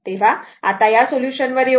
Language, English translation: Marathi, So, now, come to this solution